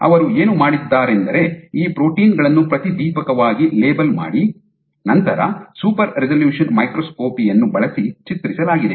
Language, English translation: Kannada, So, you fluorescently label this proteins and then image using super resolution microscopy